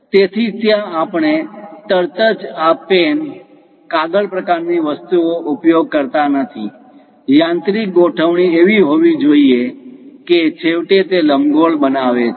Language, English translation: Gujarati, So, there we do not straightaway use this pen, paper kind of thing; the mechanical arrangement has to be in such a way that, finally it construct an ellipse